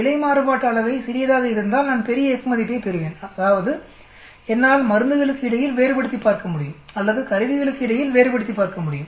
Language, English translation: Tamil, So if the error variance is small, I will get large F value that means, I will be able to differentiate between say drugs or I will be able to differentiate between instruments